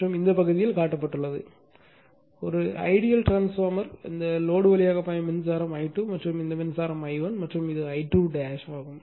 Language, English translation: Tamil, So, this at this portion that is why by dash line in this portion is shown by ideal transformer, right and current flowing through this load is I 2 and this current is I 1 and this is I 2 dash